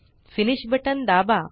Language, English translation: Marathi, Hit the Finish button